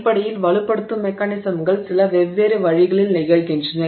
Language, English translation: Tamil, So, basically strengthening mechanisms occur by a few different ways